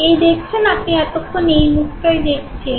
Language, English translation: Bengali, Now you see, this is the face that you saw